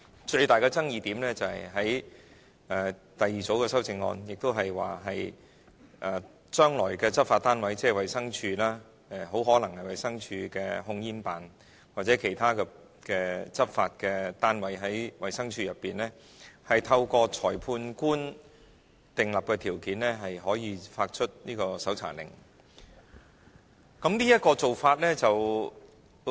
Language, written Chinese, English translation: Cantonese, 最大的爭議點是第二組修正案，即是將來的執法單位，即是衞生署，很可能是衞生署的控煙辦公室或其他執法單位，透過裁判官訂立的條件可以發出搜查令予有關的督察。, The biggest controversy is the second group of amendment . That is to say inspectors of the future law enforcement agency either from the Department of Health DH the Tobacco Control Office TCO under DH or other law enforcement agencies could obtain the search warrant from a magistrate under certain requirements set down by the magistrate